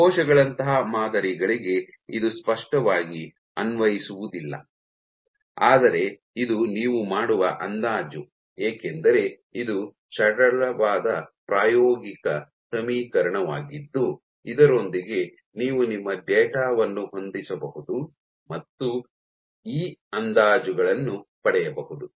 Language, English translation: Kannada, So, this is clearly not applicable for samples like cells, but still this is an approximation you make because this is a simple empirical equation with which you can fit your data and get estimates of E